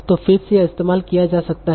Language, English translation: Hindi, So again this can be used